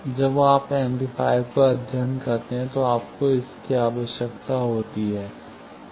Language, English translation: Hindi, When you study amplifiers, you require that